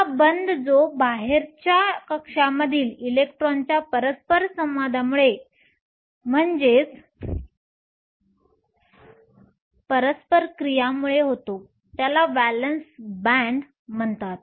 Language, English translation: Marathi, This band which is caused by which is caused by interaction of the electrons in the outermost shell is called the Valence band